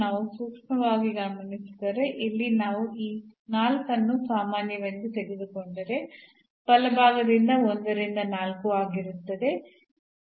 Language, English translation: Kannada, So, if we take a close look, so here if we take this 4 common, so will be 1 by 4 there in the right hand side, this 4 x square plus y square